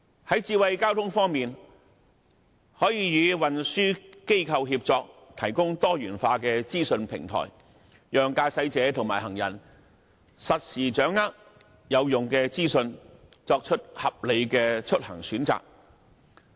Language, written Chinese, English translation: Cantonese, 在智慧交通方面，可以與運輸機構協作，提供多元化資訊平台，讓駕駛者和行人實時掌握有用的資訊，作出合理的出行選擇。, As regards smart transport it may provide a diversified information platform in collaboration with transport operators to allow drivers and pedestrians to access useful information real time for making reasonable travelling choices